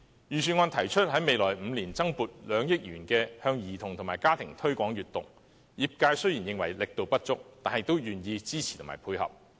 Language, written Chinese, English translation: Cantonese, 預算案提出在未來5年增撥2億元，向兒童及家庭推廣閱讀，業界雖然認為力度不足，但也願意支持和配合。, The Budget proposed allocating an additional 200 million in the coming five years to promoting reading among children and families . Although the sector considers it inadequate it is willing to support it and work in collaboration